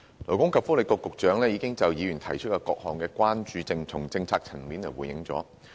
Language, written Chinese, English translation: Cantonese, 勞工及福利局局長已就議員提出的各項關注從政策層面回應。, From his policy perspective the Secretary for Labour and Welfare has already responded to the concerns raised by Members